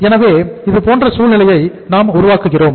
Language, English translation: Tamil, So that way we are creating that situation